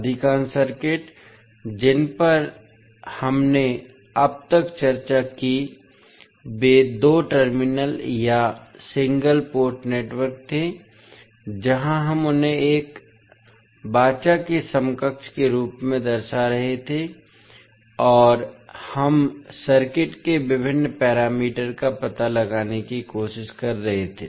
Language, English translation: Hindi, So, most of the circuit which we have discussed till now were two terminal or single port network, where we were representing them as a covenant equivalent and we were trying to find out the various parameters of the circuit